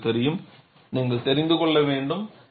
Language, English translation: Tamil, You know, you will have to know